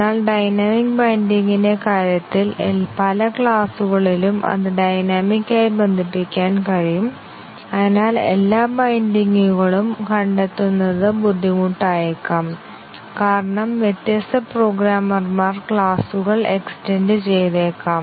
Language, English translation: Malayalam, But, in case of dynamic binding there may be many classes method, in many classes where it can be bound dynamically and therefore, finding all the bindings may be difficult because classes may also get extended by different programmers